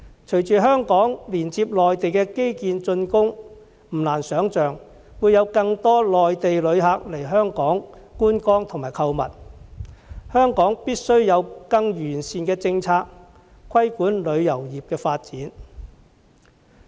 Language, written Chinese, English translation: Cantonese, 隨着香港連接內地基建竣工，不難想象會有更多內地旅客來港觀光購物，香港必須有更完善的政策，規管旅遊業的發展。, With the completion of infrastructures connecting Hong Kong to the Mainland it is not difficult to envisage an increase in Mainland visitors coming to Hong Kong for sightseeing and shopping . Hong Kong must formulate a more effective policy to regulate the development of the travel industry